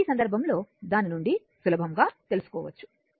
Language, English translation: Telugu, So, in this case your because from there you can easily find out right